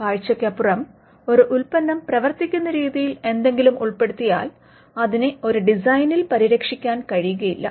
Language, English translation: Malayalam, If something is put into the way in which a product works, then that cannot be protected by a design